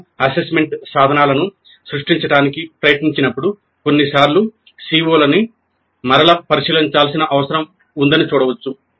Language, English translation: Telugu, When we try to create the assessment instruments, sometimes it is possible to see that the CO needs to be revisited